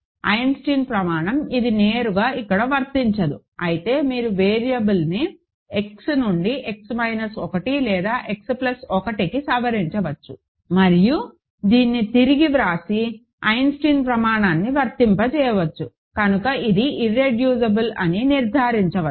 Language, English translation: Telugu, Eisenstein criterion, it does not apply directly here, but you can modify the variable from X to X minus 1 or X plus 1 and rewrite this and apply Eisenstein criterion, so it and conclude that it is irreducible